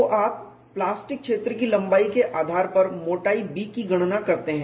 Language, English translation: Hindi, So, you determine the thickness B based on the plastic zone length